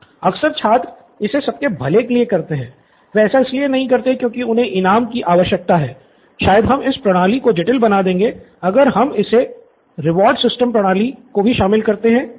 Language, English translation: Hindi, Lots of times student do it for general good, they do not do it because they need a reward, maybe we’re complicating this system by introducing the reward system